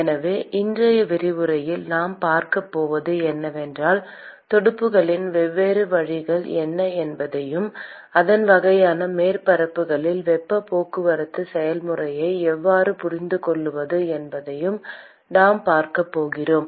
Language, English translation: Tamil, So, what we are going to see in today’s lecture is : we are going to look at what are the different ways of fins and how to understand heat transport process in these kinds of surfaces